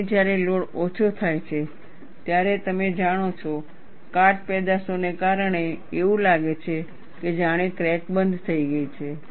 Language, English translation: Gujarati, And when the load is reduced, you know, because of corrosion products, it appears as if the crack is closed